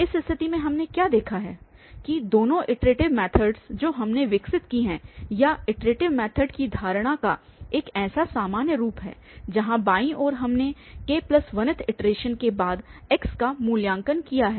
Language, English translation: Hindi, In, that case what we have seen that iterative methods, both the iterative methods which we have developed or in general the idea of iterative method is to have such a general form where left hand side we have x evaluated after this k plus 1th iteration